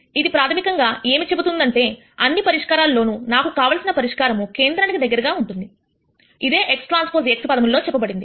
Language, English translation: Telugu, This basically says that of all the solutions I want the solution which is closest to the origin is what this is saying in terms of x transpose x